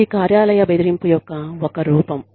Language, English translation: Telugu, And, that is a form of workplace bullying